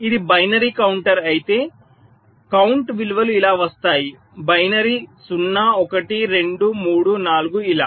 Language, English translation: Telugu, so if it is binary counter, the count values will come like this: binary: zero, one, two, three, four, like this